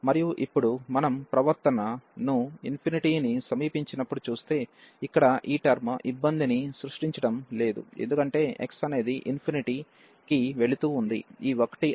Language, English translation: Telugu, And now if we look at the behavior as approaching to infinity, so this term here is not creating trouble, because x goes to infinity this is 1